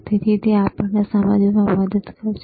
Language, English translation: Gujarati, So, he will help us to understand